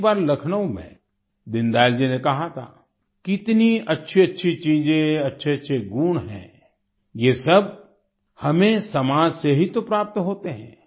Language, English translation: Hindi, Once in Lucknow, Deen Dayal ji had said "How many good things, good qualities there are we derive all these from the society itself